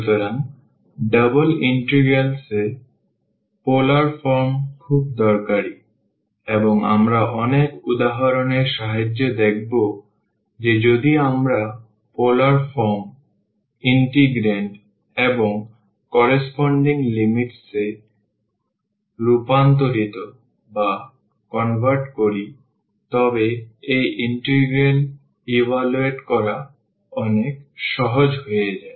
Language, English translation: Bengali, So, the double integrals in polar forms are very useful, and we will see with the help of many examples that if we convert in to the polar forms the integrand, and also the corresponding limits, then this integral becomes much easier to evaluate